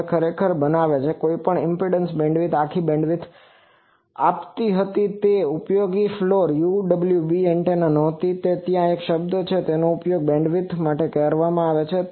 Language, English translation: Gujarati, Now, that makes actually whatever impedance bandwidth was giving the whole bandwidth was not usable floor UWB antennas; that is why there is a term called useful bandwidth